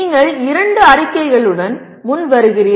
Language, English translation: Tamil, You are coming with two statements